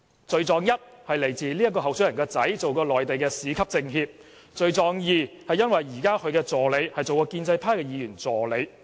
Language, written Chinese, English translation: Cantonese, 罪狀一，這位候選人的兒子曾擔任內地市級政協；罪狀二，他現時的助理曾擔任建制派的議員助理。, The first accusation against him was that his son had acted as a member of the Chinese Peoples Political Consultative Conference at the city level and the second one was that his current assistant had been the assistant of a pro - establishment Member